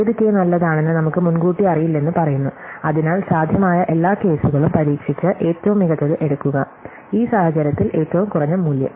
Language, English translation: Malayalam, We say we have no idea in advance which k is good, so we just try out all possible case and take the best one, in this case the minimum value